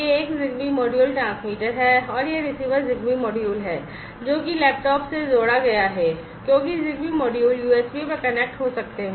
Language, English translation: Hindi, this one, is the transmitter a ZigBee module, and this is the receiver ZigBee module, which have been com connected to the laptop, because ZigBee modules can connect over USB